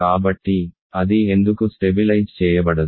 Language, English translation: Telugu, So, why does it not stabilize,